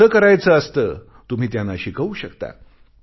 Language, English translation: Marathi, It is possible that you can teach them